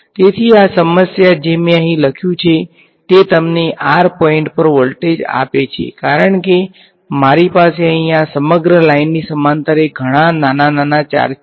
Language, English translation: Gujarati, So, this equation that I have written here this gives you the voltage at a point r because, I have lots of small small charges along this entire length over here